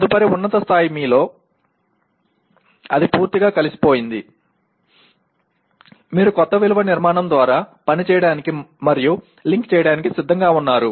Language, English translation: Telugu, And next higher level it is so thoroughly integrated into you that you are willing to act and link by the new value structure